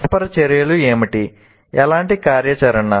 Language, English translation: Telugu, So what are the interactions, what kind of activity